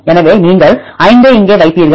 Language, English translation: Tamil, So, you put 5 here